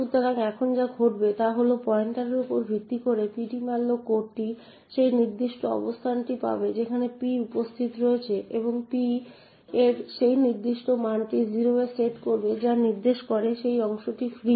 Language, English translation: Bengali, So therefore what would happen over here is that based on this pointer the ptmalloc code would obtain the location where p is present and set that particular value of p to 0 indicating that this chunk is free